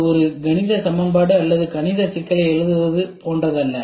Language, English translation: Tamil, It is not like writing a mathematical equation or a mathematical problem